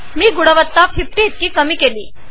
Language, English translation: Marathi, I have reduced the quality to 50